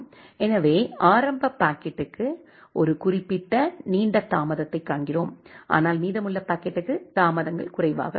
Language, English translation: Tamil, So, for the initial packet we see a certain longer delay for, but for the remaining packet that delays are less